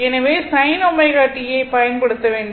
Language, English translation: Tamil, So, you have to use the sin omega t